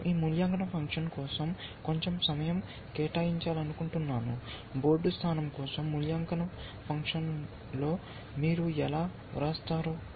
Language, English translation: Telugu, I want to just spend a little bit of time on this evaluation function, how do you write in evaluation function for a board position